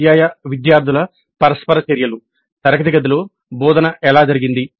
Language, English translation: Telugu, Teacher student interactions, how did the instruction take place actually in the classroom